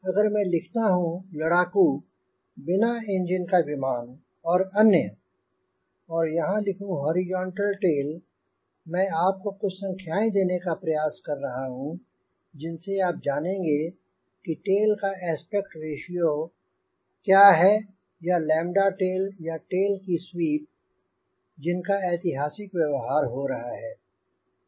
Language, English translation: Hindi, if i write fighter sailplane and lets say others, and if i here write horizontal tail, what i am trying to give some numbers where you will know what is that aspect ratio of tail or lambda of tail or sweep of tail historically being used